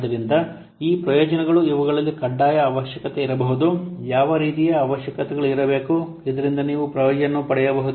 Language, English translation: Kannada, So, these benefits, this might include mandatory requirement, what kind of requirements are must so that you may get a benefit